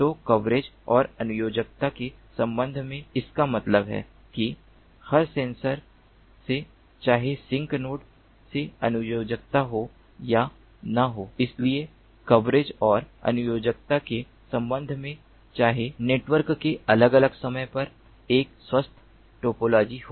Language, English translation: Hindi, so, with respect to coverage and connectivity, connectivity means that from every sensor, whether there is connectivity to the sink node or not, so, with respect to coverage and connectivity, whether at different instants of time the network is, ah has a healthy topology